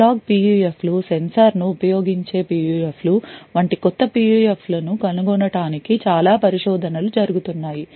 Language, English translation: Telugu, There is a lot of research which is going on to find actually new PUFs such as analog PUFs, PUFs using sensor and so on